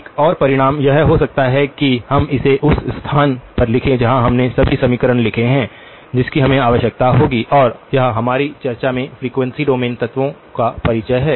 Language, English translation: Hindi, Another result may be we write it in the place where we have written all the equations, that we would need to, and this is the introduction of the frequency domain elements in our discussion